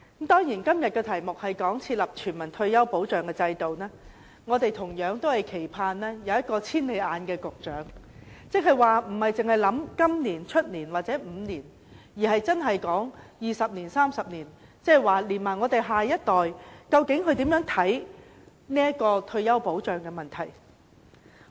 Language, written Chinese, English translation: Cantonese, 當然，在今天這項"設立全民退休保障制度"的議案上，我們同樣期盼有一位"千里眼"局長，即不單單考慮今年、明年或5年的情況，而是考慮20年、30年，也就是我們下一代對退休保障問題的看法。, Naturally today on this motion on Establishing a universal retirement protection system we also hope that we will have a far - sighted Secretary who will not merely consider the situation this year next year or the next five years but that in the next 20 and 30 years which are the views of the next generation on retirement protection